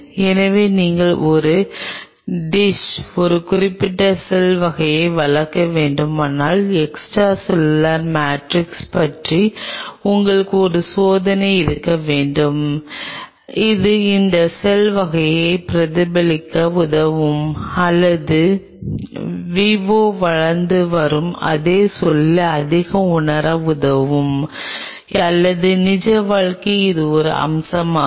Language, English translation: Tamil, so if you have to culture a specific cell type in a dish, you have to have a idea about the extracellular matrix, what or which will help that cell type to mimic or to feel [vocalized noise] much of the same environment where it is growing in vivo or in real life [vocalized noise]